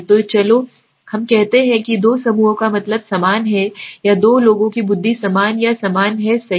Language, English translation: Hindi, So let us say the mean of two groups is equal to or the intelligence of two people is equal to or same right